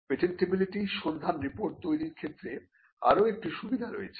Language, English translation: Bengali, Now there is also another advantage in generating a patentability search report